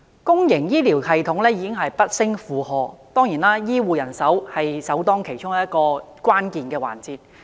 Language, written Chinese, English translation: Cantonese, 公營醫療系統已不勝負荷，醫護人手當然是首當其衝的關鍵環節。, The public healthcare system has long since been overloaded . Healthcare manpower is naturally the worst - hit area